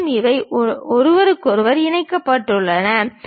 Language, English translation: Tamil, And, these are connected with each other